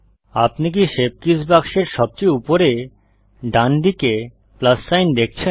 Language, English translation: Bengali, Do you see the plus sign at the far right of the shape keys box